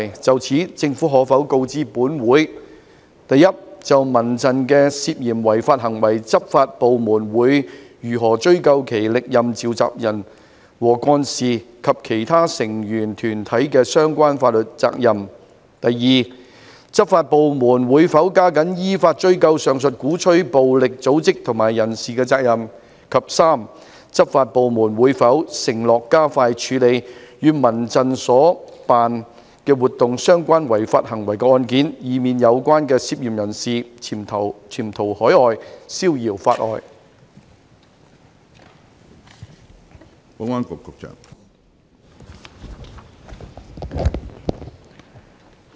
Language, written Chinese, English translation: Cantonese, 就此，政府可否告知本會：一就民陣的涉嫌違法行為，執法部門會如何追究其歷任召集人和幹事及其成員團體的相關法律責任；二執法部門會否加緊依法追究上述鼓吹暴力的組織及人士的責任；及三執法部門會否承諾加快處理與民陣所辦活動相關違法行為的案件，以免有關的嫌疑人潛逃海外，消遙法外？, In this connection will the Government inform this Council 1 regarding CHRFs suspected illegal acts how the law enforcement agencies will pursue the relevant legal liabilities of its former successive convenors and office - bearers as well as its member organizations; 2 whether the law enforcement agencies will step up efforts to pursue in accordance with the law the liabilities of the aforesaid organizations and persons that advocated violence; and 3 whether the law enforcement agencies will undertake to expedite the handling of those cases on the illegal acts relating to the activities organized by CHRF lest the suspects concerned abscond overseas and escape justice?